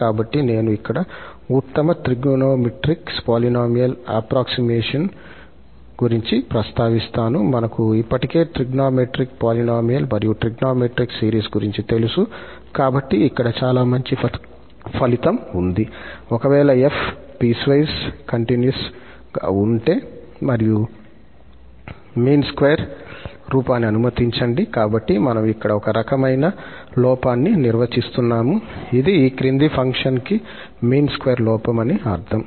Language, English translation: Telugu, So, I will just mention here the best trigonometric polynomial approximation, we are familiar with the trigonometric polynomial and trigonometric series already, so, here is a very nice result that if f is piecewise continuous and let the mean square error, so, we are defining some kind of error here which is mean square error with this following function E